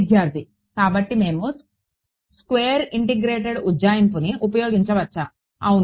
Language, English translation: Telugu, So, we assembly say square integrated approximation Yeah